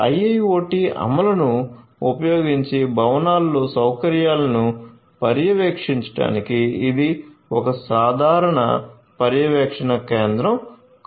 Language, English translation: Telugu, So, this is going to be a common monitoring station for monitoring the facilities in the buildings using IIoT implementation